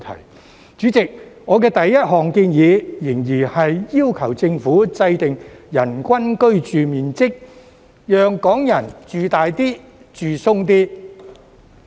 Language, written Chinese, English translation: Cantonese, 代理主席，我第一項建議，仍然是要求政府制訂"人均居住面積"指標，讓港人"住大啲、住鬆啲"。, Deputy President my first proposal is still to ask the Government to formulate a standard for the average living space per person to provide Hong Kong people with a more spacious living environment